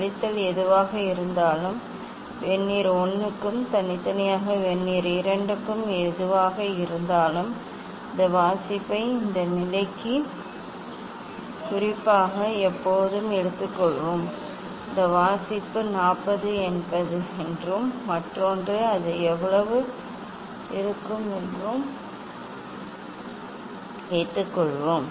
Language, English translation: Tamil, Whatever the subtraction, addition whatever these for Vernier 1 and separately for Vernier 2 And when we will take this reading for particular for this position; say suppose this reading is 40 and other one other one is how much it will be